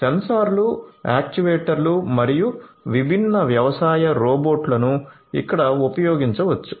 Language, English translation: Telugu, So, sensors, actuators, last different agricultural robots could be used over here